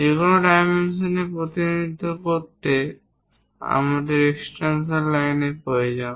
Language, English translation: Bengali, If to represent any dimensions we require extension lines